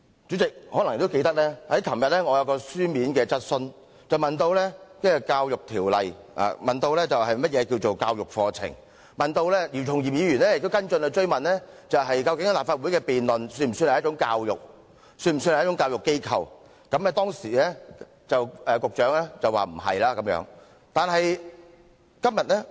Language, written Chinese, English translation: Cantonese, 主席可能也記得，我昨天提出了一項口頭質詢，詢問《教育條例》中有關"教育課程"的定義，而姚松炎議員也提出了跟進質詢，問及立法會的辯論算不算一種教育，立法會算不算教育機構，當時局長的答覆是否定的。, Hence this is the last time I speak on this amendment . The Chairman may also remember that I raised an oral question yesterday asking the meaning of educational course under the Education Ordinance . Dr YIU Chung - yim also raised a supplementary question asking whether the debates in the Legislative Council can be considered as a kind of education and whether the Legislative Council can be considered as an educational institution